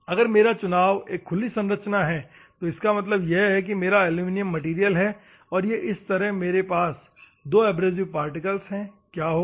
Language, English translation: Hindi, If I am going to have an open structure; that means, that this is my aluminium material and I have two abrasive particles open structure like this, what will happen